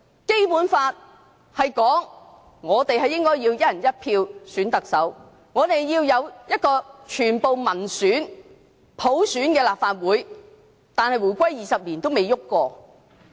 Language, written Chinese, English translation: Cantonese, 《基本法》說我們應該要"一人一票"選特首，要有一個全部議員由民選、普選產生的立法會，但回歸20年來也未有改變。, The Basic Law provides that we can elect the Chief Executive on a one - person - one - vote basis and the election of all the members of the Legislative Council shall be by universal suffrage but things have not changed in these 20 years after the reunification